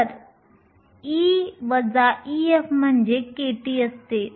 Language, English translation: Marathi, So, e minus e f is nothing but k t